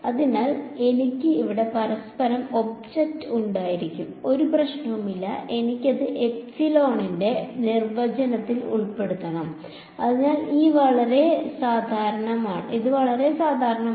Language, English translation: Malayalam, So, I can have one another object over here no problem, I just have to include that in the definition of epsilon ok so, this is very general